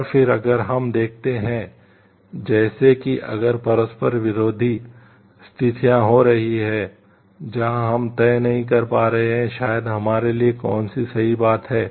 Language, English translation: Hindi, And then, if we see like if there are conflicting situations happening; where like we are not able to decide maybe which one is the correct thing for us to do